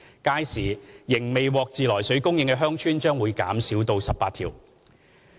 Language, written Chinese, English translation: Cantonese, 屆時，仍未獲自來水供應的鄉村會減少至18條。, By then the number of villages that do not have treated water supply will be further reduced to 18